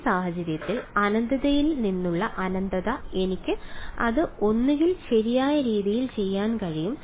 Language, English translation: Malayalam, Well in this case infinity by infinity from I can do it in either way right